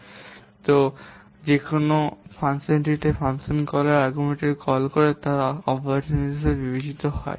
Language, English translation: Bengali, So, whenever you are putting the arguments where in a function call, the arguments of the function call, they are considered as operands